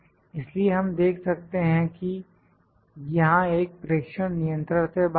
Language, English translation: Hindi, So, we can see that one of the observation here is out of control